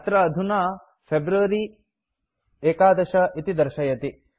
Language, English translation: Sanskrit, Here it is showing February 11